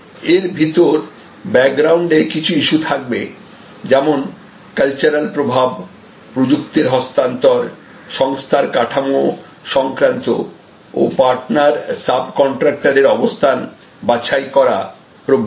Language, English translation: Bengali, Within the at there will be some issues at the background like cultural influences transfer of technology issues organizational structural issues and location selection of partner sub contractors etc